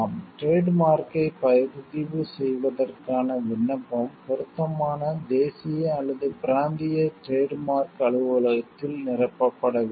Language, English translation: Tamil, Application for registration of a trademark needs to be filled with the appropriate national or regional trademark office